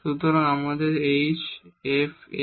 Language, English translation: Bengali, So, we have h f x and so on